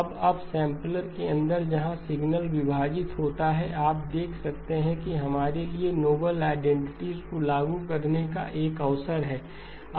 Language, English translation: Hindi, Now up sampler inside of the where the signal splitting occurs, you can see that there is a opportunity for us to apply the noble identities